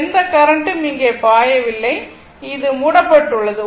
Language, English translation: Tamil, So, no current is flowing here also and this is closed right